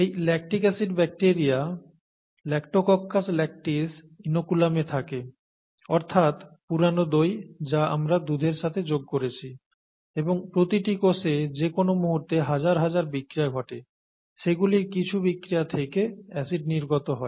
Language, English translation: Bengali, This lactic acid bacteria Lactococcus lactis is what was present in the inoculum, the old curd that we added to the milk and each cell has thousands of reactions that go on at any given time, and from some of those reactions, acid comes